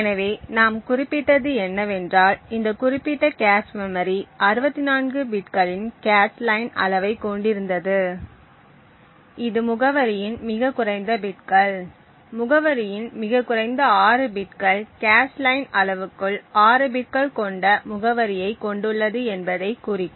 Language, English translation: Tamil, So what we did mention was that this particular cache memory had a cache line size of 64 bits which would indicate that the lowest bits of the address, the lowest 6 bits of the address comprises addressing within the cache line size which is of 6 bits